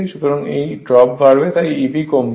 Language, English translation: Bengali, So, this drop will increase therefore, E b will decrease